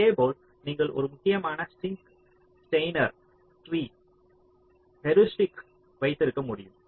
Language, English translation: Tamil, similarly you can have a critical sink, steiner tree, heuristic